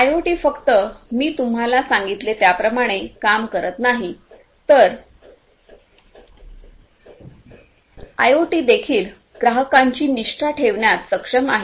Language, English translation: Marathi, IoT not only does what I just told you, but IoT is also capable of increasing the customer loyalty